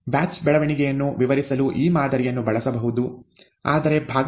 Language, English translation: Kannada, This model can be used to describe batch growth, but only in parts